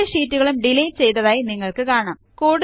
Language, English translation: Malayalam, You see that both the sheets get deleted